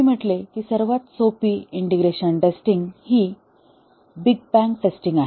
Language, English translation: Marathi, We said that the simplest integration testing is big bang testing